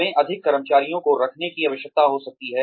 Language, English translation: Hindi, , we might need to hire more employees